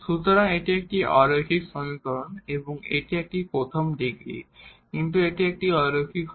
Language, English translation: Bengali, So, this is a non linear equation and its a first degree, but it is a non linear